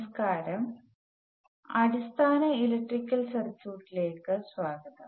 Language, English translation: Malayalam, Hello and welcome to Basic Electrical Circuits